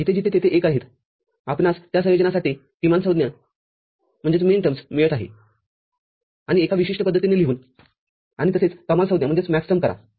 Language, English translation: Marathi, And wherever there are ones we are getting minterms for those combinations and writing it in a particular manner and similarly for Maxterm